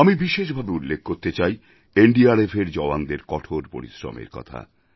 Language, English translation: Bengali, I would like to specially mention the arduous endeavors of the NDRF daredevils